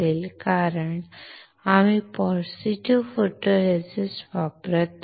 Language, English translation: Marathi, Because, we are using positive photoresist